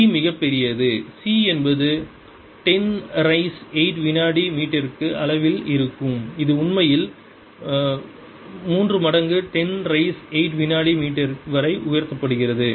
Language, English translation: Tamil, c is a order of ten raise to eight meters per second is actually three times ten raise to eight meters per second